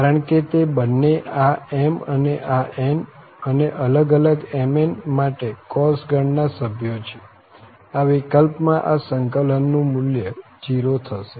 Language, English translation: Gujarati, Because both are from cos family with this m and this n, m and n are different, in that case, we have the value 0 of this integral